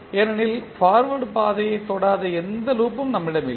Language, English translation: Tamil, Because, we do not have any loop which is not touching the forward path